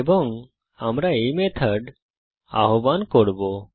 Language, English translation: Bengali, And we will call this method